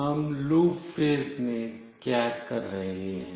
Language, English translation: Hindi, Now, in the loop phase, what we are doing